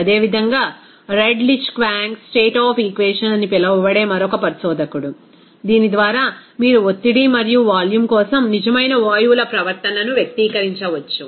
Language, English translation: Telugu, Similarly, another investigator that is called Redlich Kwong equation of state by which you can express that real gases’ behavior for the pressure and volume